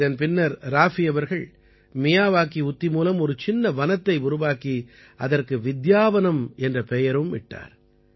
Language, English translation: Tamil, After this, Raafi ji grew a mini forest with the Miyawaki technique and named it 'Vidyavanam'